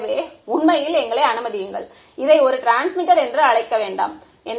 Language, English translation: Tamil, So, let us actually let us not call this is a transmitter